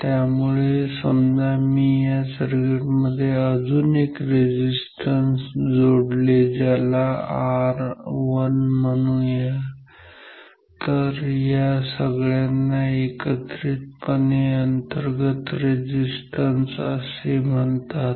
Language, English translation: Marathi, So, if I put any other resistance in this circuit called R 1 so, R 1; so, all this together is called the total internal resistance of this circuit ok